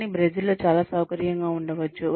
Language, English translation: Telugu, But, may be very comfortable in Brazil